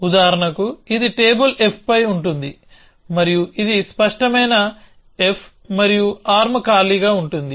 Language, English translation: Telugu, So for example, this will have on table f and it will have clear f and arm empty